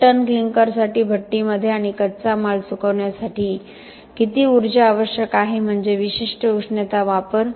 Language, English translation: Marathi, How much is the energy that is needed in the kiln and for drying of the raw material for a ton of clinker so that is the specific heat consumption